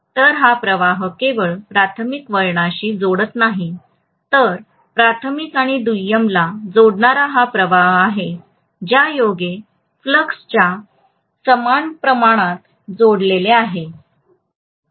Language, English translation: Marathi, So this flux is not only linking the primary winding, so this is a flux linking the primary as well as secondary, both are linked by the same amount of flux, right